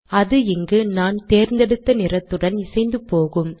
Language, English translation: Tamil, So that this is consistent with this color that I have chosen